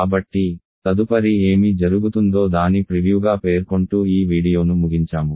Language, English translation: Telugu, So, let me just end this video by stating this as a preview of what will come next